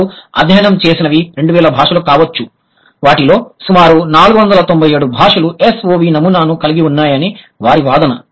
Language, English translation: Telugu, Out of that, their claim is that approximately some 497 languages in the world, they have SOV pattern